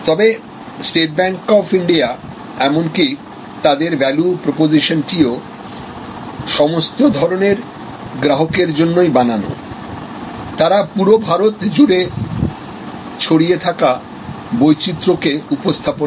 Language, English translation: Bengali, But, State Bank of India, even their value proposition is that deserve all kinds of customers, this serve the Diversity of India, they are spread all over India